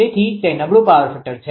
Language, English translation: Gujarati, So, it is a good power factor